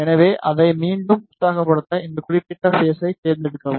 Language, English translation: Tamil, So, to excite it again select this particular phase